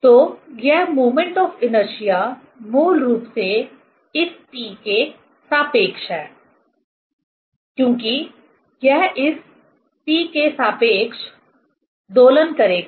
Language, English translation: Hindi, So, that moment of inertia basically with respect to this P; because it will oscillate with respect to this P